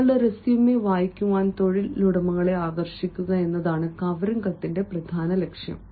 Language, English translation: Malayalam, the main purpose of the covering letter is to attract employers to read your resume on on one page covering letter